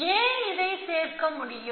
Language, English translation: Tamil, Why can I, why can I add to this